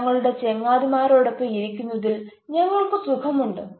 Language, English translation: Malayalam, we are comfortable sitting with our friends, etc